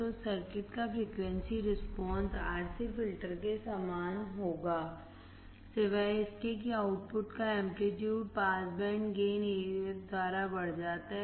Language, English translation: Hindi, So, frequency response of the circuit will be same as that of the RC filter, except that amplitude of the output is increased by the pass band gain AF